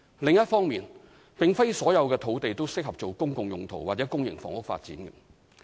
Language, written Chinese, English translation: Cantonese, 另一方面，並非所有土地均適合作"公共用途"或公營房屋發展。, On the other hand not all land is suitable for public purpose or public housing development